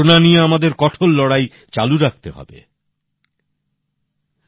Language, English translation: Bengali, We have to firmly keep fighting against Corona